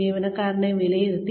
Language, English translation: Malayalam, The employee has been appraised